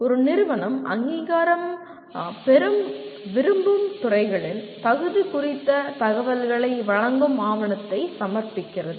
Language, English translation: Tamil, An institution submits a document providing information on eligibility of the departments seeking accreditation